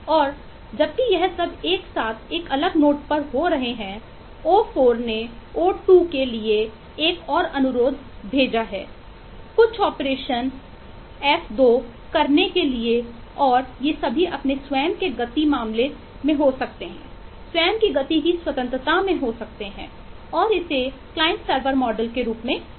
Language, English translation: Hindi, on a separate note, o4 may have sent another request to o2 for doing some operation f2 and all these can keep on happening at the own speed case, at the own speed independence, and this is what is known as the client server model